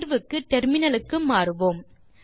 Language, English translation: Tamil, Switch to the terminal now